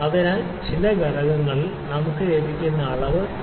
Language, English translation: Malayalam, So, we can see that reading that we are getting at some point is 3